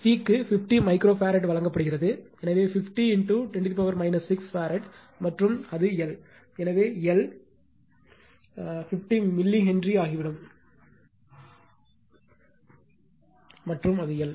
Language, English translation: Tamil, And C is given 50 micro farad, so 50 into 10 to the power minus 6 farad and it is L